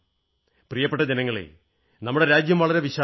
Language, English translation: Malayalam, My dear countrymen, our country is so large…so full of diversity